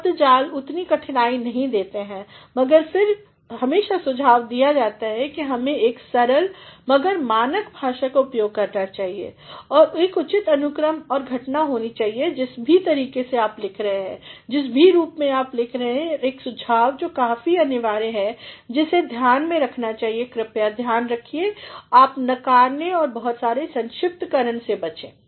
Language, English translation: Hindi, The jargons do not pose that much of difficulty, but then it is always suggested that one should use a simple, but standard language and a proper sequencing and occurrence has to be made, whatever way you are writing, whatever form you are writing and one suggestion that is quite mandatory is to be kept in mind is please see that, you avoid negatives and too many abbreviations